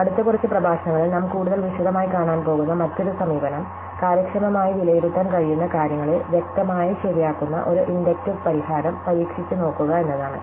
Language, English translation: Malayalam, So, the other approach which is what we are going to look at in more detail in the next few lectures is to try and look for an inductive solution which is obviously correct but which can be evaluated efficiently